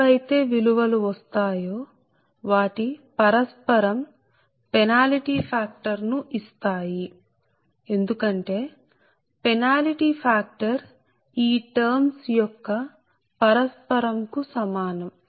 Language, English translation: Telugu, if you get, then whatever value you will get, its reciprocal will give you the penalty factor, because penalty factor is equal to the reciprocal of this terms, right